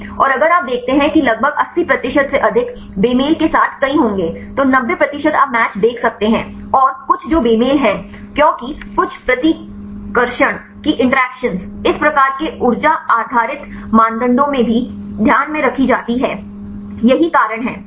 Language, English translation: Hindi, And if you see there will many with mismatches about more than 80 percent, 90 percent you can see the matches and some which mismatches mainly because of the some of the repulsion interactions are also taken into account in this type of energy based criteria, that is the reason right